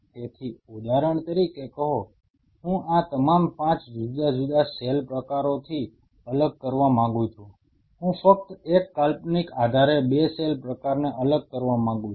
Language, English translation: Gujarati, So, say for example, I want to separate from all these 5 different cell type I wanted to separate 2 cell type just a hypothetical sake